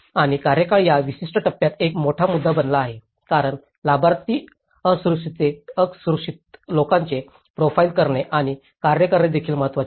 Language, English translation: Marathi, And the tenure has become a big issue in this particular phase, because and also profiling the vulnerable people who are the beneficiaries, is also important as task